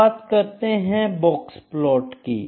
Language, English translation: Hindi, So, what is the significance of box plot